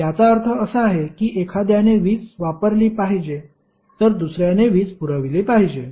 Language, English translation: Marathi, It means 1 should supply the power other should consume the power